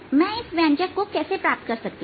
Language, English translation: Hindi, how can i get to this expression